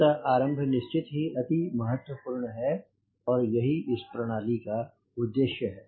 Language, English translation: Hindi, so beginning is extremely important and that is the purpose of this course